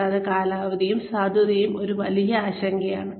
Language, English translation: Malayalam, And, the duration and the validity is a big concern